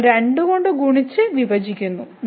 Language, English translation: Malayalam, So, we multiplied and divided by 2